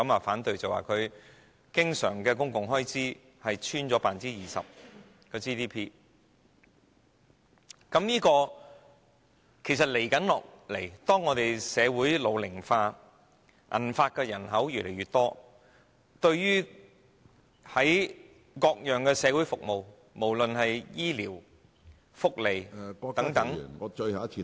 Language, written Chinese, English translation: Cantonese, 香港的經常公共財政開支已跌穿 GDP 的 20%， 如果這傾向持續，隨着香港社會日益老齡化，銀髮人口越來越多，對各種社會服務，無論是醫療、福利等......, The ratio of our recurrent public expenditure to GDP has been lowered to less than 20 % . If this trend continues with the ageing of population in Hong Kong the elderly population will grow the demand on various kinds of social services including health care social welfare